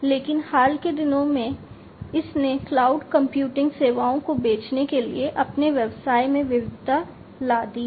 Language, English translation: Hindi, But, in recent times it has diversified its business to selling cloud computing services